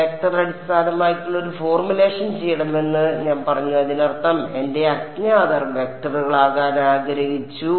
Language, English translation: Malayalam, I said I wanted to do a vector based formulation; that means, my unknowns wanted needed to be vectors